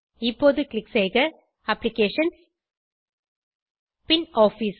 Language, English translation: Tamil, Now, lets click on Applications and then on Office